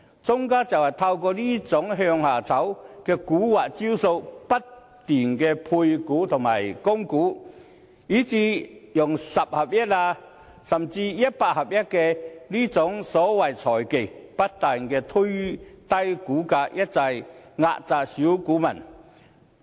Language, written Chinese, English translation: Cantonese, 莊家就是透過這種"向下炒"的蠱惑招數，不斷配股和供股，以至使用"十合一"，甚至"一百合一"等所謂財技，不斷推低股價，一再壓榨小股民。, With the trick of downward price manipulation comprising placement right issues and even the so - called financial techniques of 1 - for - 10 split or even 1 - for - 100 split market makers keep lowering the share price to exploit small investors over and over again